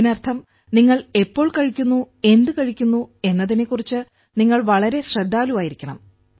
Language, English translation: Malayalam, This means that you have to be very careful about when you eat and what you eat